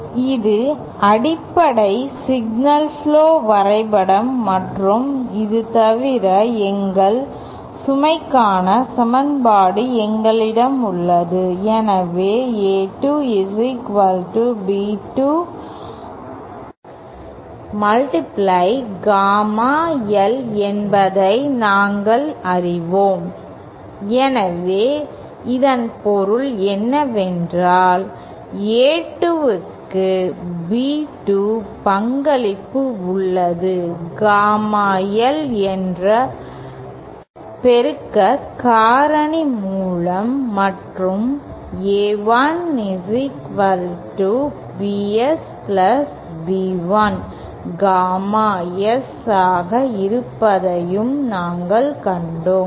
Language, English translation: Tamil, This is the basic signal flow graph diagram and in addition to this, we also have the equation for our load, so we know that A2 is equal to B2 times gamma L, so then what that means is that we have B2 contributing to A2 with the multiplicative factor gamma L and we also have seen that there is another equation A1 equal to BS + B1 gamma S